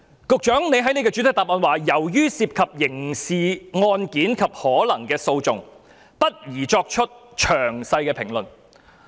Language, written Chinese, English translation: Cantonese, 局長在主體答覆表示，由於涉及刑事案件及可能提起的訴訟，不宜作出詳細評論。, The Secretary stated in the main reply that as it involved criminal cases and possible litigation it was inappropriate for him to comment in detail